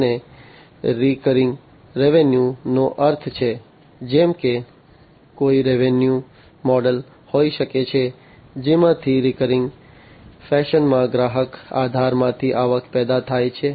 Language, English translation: Gujarati, And recurring revenues means, like there could be a revenue model from which in a recurring fashion, the revenues are generated from the customer base